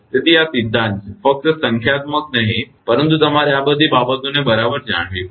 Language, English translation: Gujarati, So, this is theory only not numericals, but you have to know all these things right